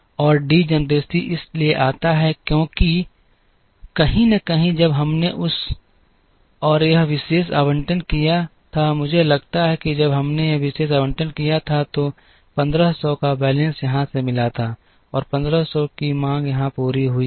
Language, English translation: Hindi, And the degeneracy comes because somewhere when we made this particular allocation, I think when we made this particular allocation, the balance of 1500 was met here and the demand of 1500 was met here